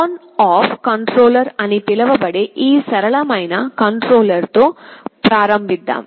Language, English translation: Telugu, Let us start with this simplest kind of controller called ON OFF controller